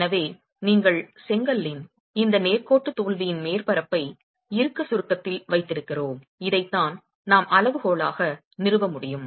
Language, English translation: Tamil, So you have this straight line failure surface of the brick in tension compression which is what we will feed into to be able to establish the criterion